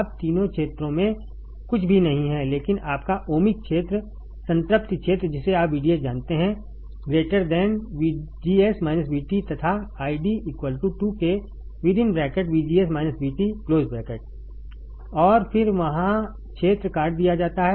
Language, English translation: Hindi, Now, in triode regions is nothing, but your ohmic region, saturation region you know VDS is greater than VGS minus V T and I D equals to k times VGS minus V T volts square and then there is cut off region